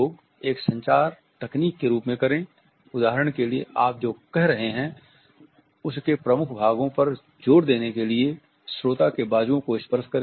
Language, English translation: Hindi, Lastly use touching as a communication technique, for example touch the listener on the forearm to add emphasis to key parts of what you are saying